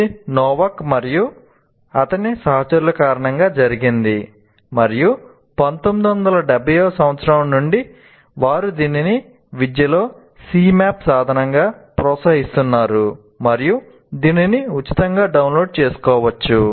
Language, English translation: Telugu, And this was due to Novak and his associates and right from 1970s onwards they have been promoting this in education and you have a free tool called Cmap 2, C map tools and it can be downloaded free